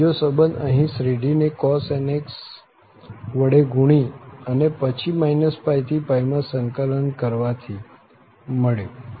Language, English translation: Gujarati, And, we got another relation here by multiplying the series by cos nx and then integrating over minus pi to pi